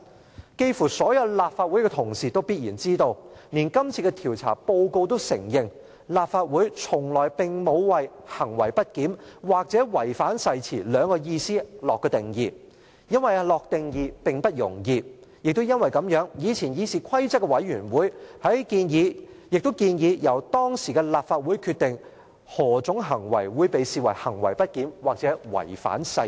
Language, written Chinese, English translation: Cantonese, 差不多所有立法會同事也必然知道，連今次的調查報告也承認，立法會從來並沒有為行為不檢或違反誓言下定義，因為下定義並不容易；過去的議事規則委員會亦因此建議，由當時的立法會決定何種行為會被視為行為不檢或違反誓言。, As is known to almost all my colleagues in the Legislative Council and even this investigation report also admits that the Legislative Council has never provided any definition for misbehaviour or breach of oath for it is not easy to do so . The Committee on Rules of Procedure therefore advised previously that the then prevailing Council should decide what constituted misbehaviour or breach of oath